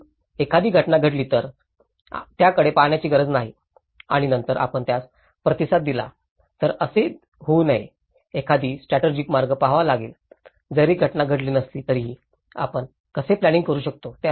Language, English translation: Marathi, So, one has to not only look at the if the event happens and then we respond to it, it should not be like that, one has to look at a strategic way, how even if the event is not had occurred how we can plan for it